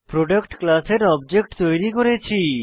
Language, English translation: Bengali, Here we are declaring an object of the Product class